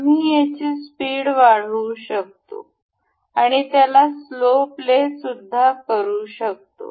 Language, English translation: Marathi, We can speed it up or we can slow play it